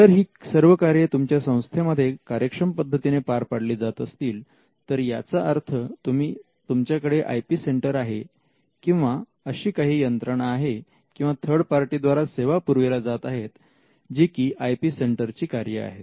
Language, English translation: Marathi, Now, if you can do all these functions or if all these functions are being done reasonably well in your institution then most likely you already have an IP centre or you have someone or some third party who is rendering these services which can qualify for the functions of an IP centre